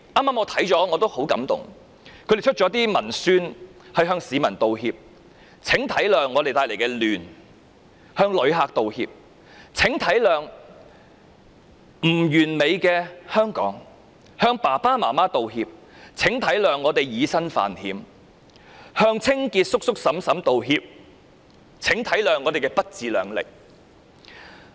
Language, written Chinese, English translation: Cantonese, 他們製作了一些文宣向市民道歉："請體諒我們帶來的亂"，向旅客道歉："請體諒不完美的香港"，向爸爸媽媽道歉："請體諒我們以身犯險"，向清潔叔叔嬸嬸道歉："請體諒我們不自量力"。, They even produced publicity materials to apologize to the public Please understand the chaos we brought; they apologize to visitors Please understand the imperfection of Hong Kong; they apologize to their parents Please understand our willingness to defy the law; and they apologize to cleaning workers Please understand we have overrated our abilities